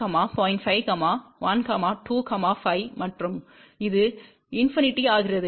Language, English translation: Tamil, 5, 1, 2, 5 and this becomes infinity